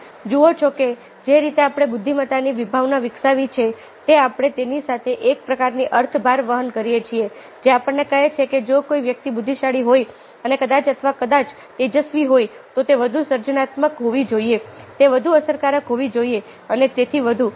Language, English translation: Gujarati, so you see that, ah, the way we developed ah the concept of intelligence, ah, we carry it with it, a kind of a meaning load which tells us that if somebody is intelligent, then probably, ah, or bright, probably he should be more creative, he should be more effective, and so on and so forth